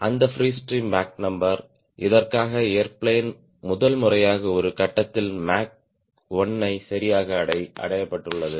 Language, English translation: Tamil, it is that free stream mach number for which, for the first time, they air plane at some point the mach one has been achieved locally, right